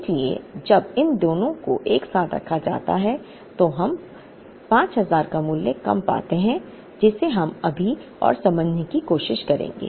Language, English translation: Hindi, So, when these two put together is 5000 we still seem to be getting a lesser value here, which we will try and explain now